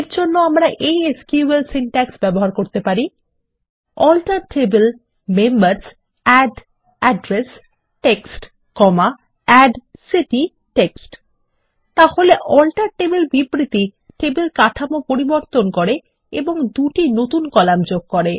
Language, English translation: Bengali, For this we can use SQL syntax such as: ALTER TABLE Members ADD Address TEXT, ADD City TEXT So the ALTER TABLE statement changes the table structure and adds two new columns: Address and City which will hold TEXT data